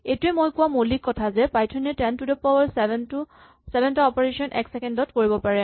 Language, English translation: Assamese, This is the basis of my saying that Python can do about 10 to the 7 operations in a second